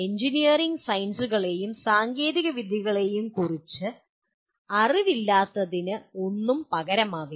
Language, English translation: Malayalam, There is no substitute for poor knowledge of engineering sciences and technologies